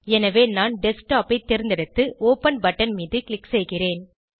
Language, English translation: Tamil, So, I will select Desktop and click on the Open button